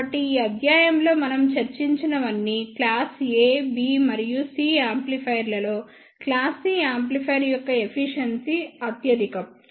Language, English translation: Telugu, So, we will talk about class A amplifier, class B amplifier, class AB, and class C power amplifier